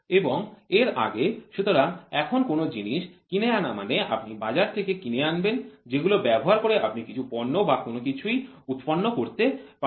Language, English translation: Bengali, And before; so now bought out items means you buy it from the market which can be used to produce a product, certain things are manufactured